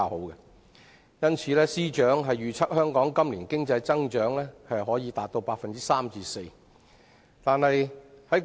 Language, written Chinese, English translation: Cantonese, 因此，司長預測香港今年經濟增長可達 3% 至 4%。, Hence the Financial Secretary has forecasted Hong Kongs economic growth to be 3 % to 4 % this year